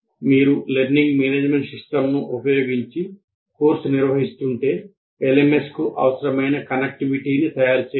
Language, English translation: Telugu, And on top of that, if you are operating using a learning management system and the necessary connectivity to the LMS has to be made